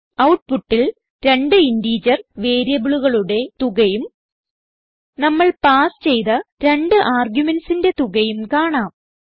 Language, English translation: Malayalam, Now Save and Run the program In the output we see the sum of two integers variables, And the sum of two numeric arguments that we passed